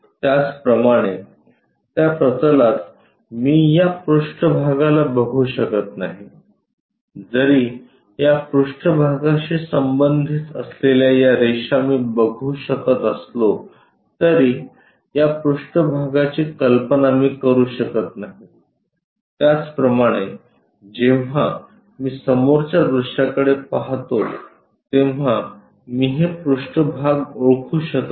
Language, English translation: Marathi, Similarly, on that plane I can not visualize this surface, though I can visualize these lines bounding this surface I can not visualize these surfaces, similarly I can not identify these surfaces when I am looking from front view